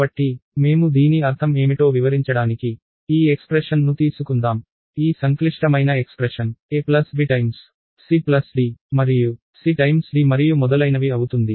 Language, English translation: Telugu, So, to illustrate what I mean by that, let us take this expression, this complicated expression a plus b times c plus d and c times d and so, on